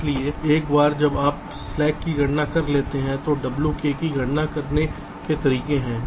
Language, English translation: Hindi, so so once you have calculated the slack, then there are ways to calculate w k